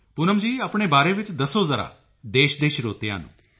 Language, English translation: Punjabi, Poonamji, just tell the country's listeners something about yourself